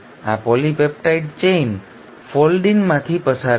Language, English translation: Gujarati, This polypeptide chain will undergo foldin